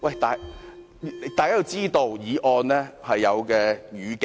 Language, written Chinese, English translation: Cantonese, 大家要知道，議案是有語境的。, Members should know that every motion has its context